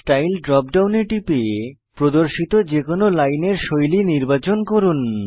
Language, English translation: Bengali, Click on Style drop down and select any of the line styles shown